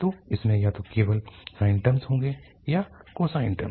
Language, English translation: Hindi, So it will have either only sine terms or cosine terms